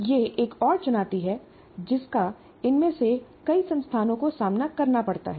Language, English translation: Hindi, That is another challenge that many of these institutions have to face